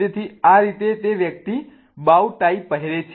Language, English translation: Gujarati, Okay, so this is how that person is wearing a bow tie